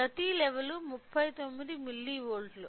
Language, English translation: Telugu, So, each level is of 39 milli volts